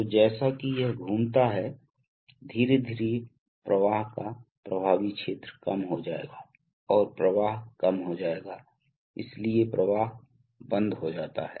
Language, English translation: Hindi, So as it rotates, slowly the effective area of flow will get reduced and therefore the flow will get reduced, so the flow gets throttled